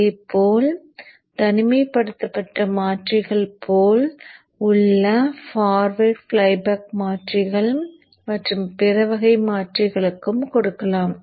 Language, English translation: Tamil, And likewise you could also give it to the isolated converters like the forward flyback converters and other types of converters